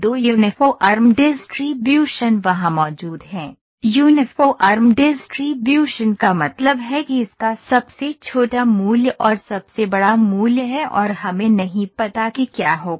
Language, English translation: Hindi, Two Uniform Distributions are there two Uniform Distributions means Uniform Distributions means this just have the smallest value and the largest value we do not know what would happen